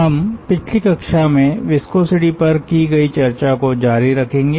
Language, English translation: Hindi, we continue with our ah discussions on viscosity that we had in the previous class